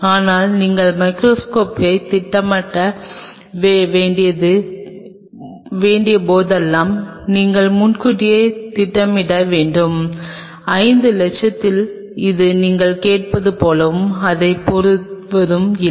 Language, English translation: Tamil, But whenever you have to plan for microscope, we have to really plan in advance, whether in 5 lakhs this is not something which is like you ask for it and you get it